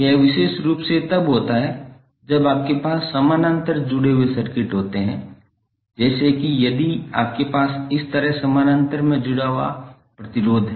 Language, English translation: Hindi, This happens specifically when you have parallel connected circuits like if you have impedance connected in parallel like this